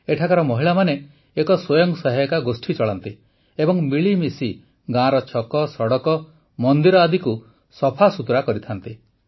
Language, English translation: Odia, The women here run a selfhelp group and work together to clean the village squares, roads and temples